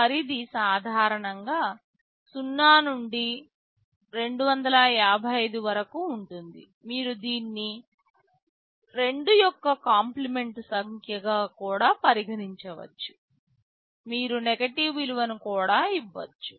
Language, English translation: Telugu, The range is typically 0 to 255, you can also regard it as a 2’s complement number you can give a negative value also